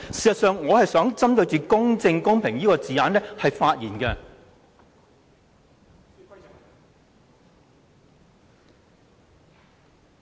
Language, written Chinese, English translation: Cantonese, 事實上，我是想針對"公正公平之舉"這個字眼發言的。, Actually I would like to focus my speech on the expression it is just and equitable to do so